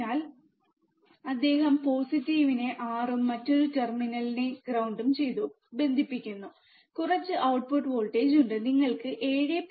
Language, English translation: Malayalam, So, he is connecting the the positive to 6, and the another terminal to ground, what we see there is some output voltage, you can see 7